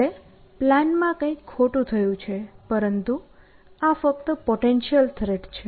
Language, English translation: Gujarati, So, something has gone wrong with the plan essentially, but this is only a potential threat